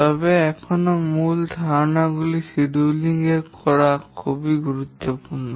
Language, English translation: Bengali, But still the main ideas of scheduling are very important